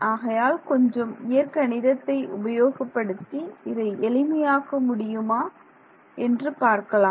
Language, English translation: Tamil, So, now, let us try a little bit more of algebra to see how we can simplify things further